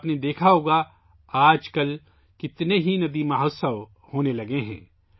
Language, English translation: Urdu, You must have seen, nowadays, how many 'river festivals' are being held